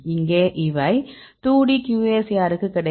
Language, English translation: Tamil, So, here these will get to 2D QSAR